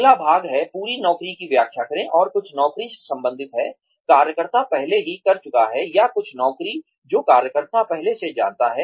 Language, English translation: Hindi, The next part is, explain the whole job, and related to some job, the worker has already done, or some job that, the worker already knows